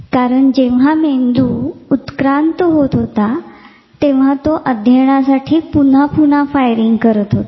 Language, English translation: Marathi, Because brain when it was actually evolving it was firing again and again to learn, so that is why you find it